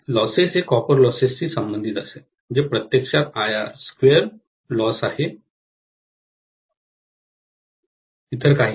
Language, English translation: Marathi, Losses will correspond to copper loss, which is actually I square R loss, nothing else